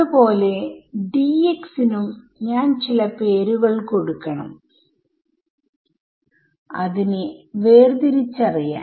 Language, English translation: Malayalam, Similarly I should give some names to this D x is to distinguish them